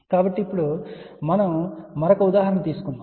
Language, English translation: Telugu, So, now let us take another example